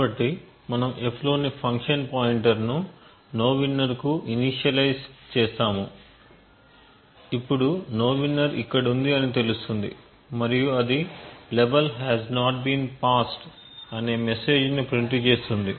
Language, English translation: Telugu, So then what we do is we initialize the function pointer in f to nowinner so know that nowinner is here and it simply prints level has not been passed